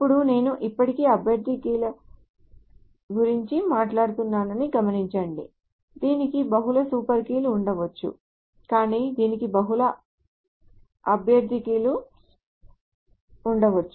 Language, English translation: Telugu, Now note, I am still talking about candidate keys, of course it can have multiple super keys, but it can also have multiple candidate keys